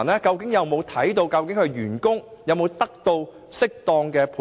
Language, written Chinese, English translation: Cantonese, 金管局有否確定銀行員工是否得到適當的培訓？, Have HKMA ensured that bank staff have received proper training?